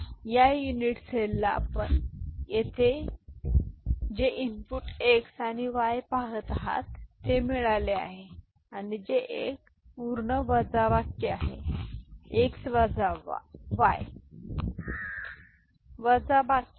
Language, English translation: Marathi, And so for that – so, this unit cell has got what you see here input x and y and this is a full subtract, x minus y full subtraction that is there ok